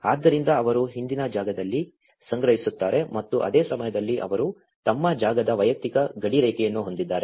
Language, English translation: Kannada, So, they gather at the rear space and at the same time they have their personal demarcation of their space